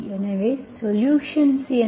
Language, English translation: Tamil, So what is the solution